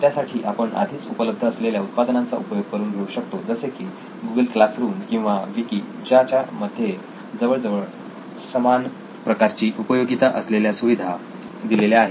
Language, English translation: Marathi, Then we already have few existing products like a Google Classroom or a Wiki which can do this kind of, which have similar kind of functionality as well